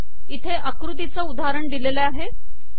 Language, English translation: Marathi, So example of the figure is given here